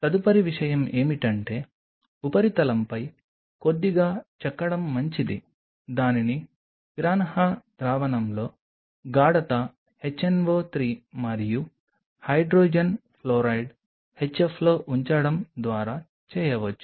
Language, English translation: Telugu, The next thing is it is a good idea to etch the surface a little bit etching could be done by putting it in a piranha solution concentrate HNO 3 and Hydrogen Fluoride HF these are the ones which kind of make the surface little rough